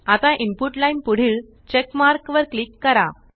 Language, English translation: Marathi, Now click on the check mark next to the Input line